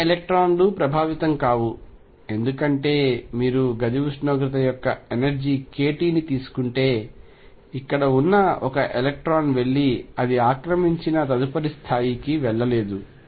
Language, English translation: Telugu, All other electrons are not going to be affected because an electron out here if you take energy k t of the room, temperature cannot go and move to the next level which is occupied